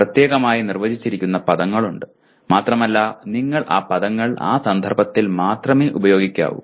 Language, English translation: Malayalam, There are terms that are defined specifically and you have to use those terms only in that context